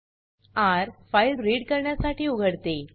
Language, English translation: Marathi, r – opens file for reading